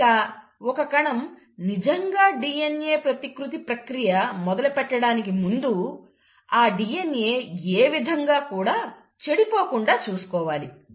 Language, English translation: Telugu, And, before the cell actually commits and starts doing the process of DNA replication, it has to make sure that there is no DNA damage whatsoever